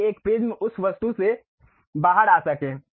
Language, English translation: Hindi, So, that a prism can come out of that object